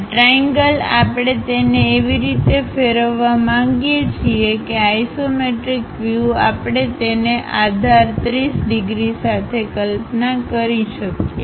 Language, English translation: Gujarati, This triangle we would like to rotate it in such a way that isometric view we can visualize it with base 30 degrees